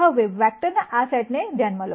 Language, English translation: Gujarati, Consider now this set of vectors right